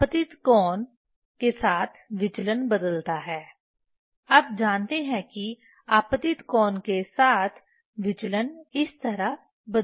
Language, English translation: Hindi, Deviation changes with the incident angle you know deviation changes with the incident angle like this